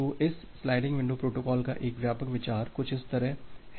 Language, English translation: Hindi, So, a broad idea of this sliding window protocol is something like this